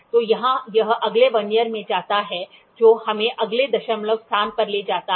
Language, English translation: Hindi, So, here it goes to the next Vernier takes us to the next decimal place